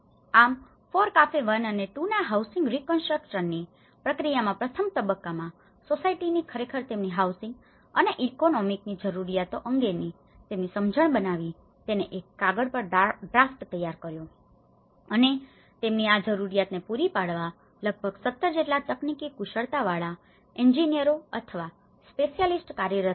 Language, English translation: Gujarati, So how the process, so the process of FORECAFE 1 and 2 fund in the housing reconstruction, first, once the society the individuals when they realize the housing needs and economic needs so they actually made their understanding of their requirements in a piece of paper and they drafted that in what they want and that is where the engineers or specialists about 17 engineers were working in order to assist them with the technical expertise